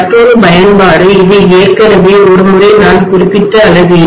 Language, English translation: Tamil, Another application is for measurement I mentioned about this already once